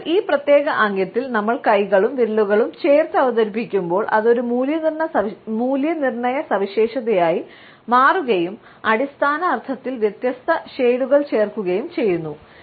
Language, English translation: Malayalam, So, when we introduce our hands and fingers in this particular gesture then it becomes an evaluator gesture and different shades are added to the basic meaning